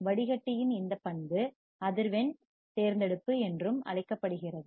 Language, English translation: Tamil, This property of filter is also called frequency selectivity